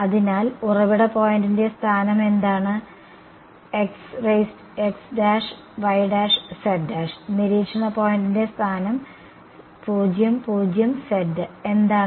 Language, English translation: Malayalam, So, what is the location of the source point x prime y prime z prime, what is the location of the observation point 0 0 z right